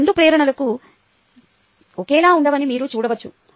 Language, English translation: Telugu, you can see that these two ah motivations are not the same